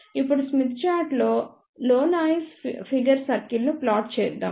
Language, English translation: Telugu, Now, let us plot noise figure circle on the smith chart